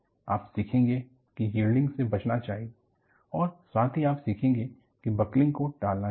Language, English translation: Hindi, You will learn yielding should be avoided and also, you will learn that buckling should be avoided